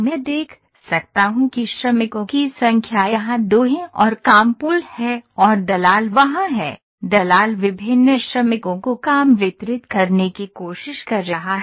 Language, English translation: Hindi, So, I can see the number of workers are 2 here and work pool is there and the broker is there, broker is trying to distrib